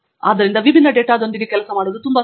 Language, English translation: Kannada, So, that it is very easy to work with different data